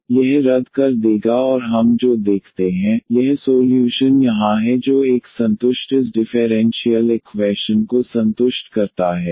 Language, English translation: Hindi, So, this will cancel out and what we observe that, this solution here which a satisfy satisfies this differential equation